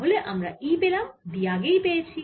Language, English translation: Bengali, so we have got e, we have got b